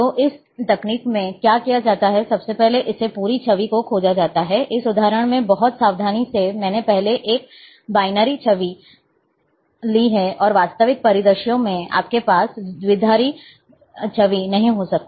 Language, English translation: Hindi, So, what it is done in this technique is, the first, this entire image is searched, in this example, very carefully I have taken a binary image first, and in real, in real scenarios, you will be generally you may not be having binary image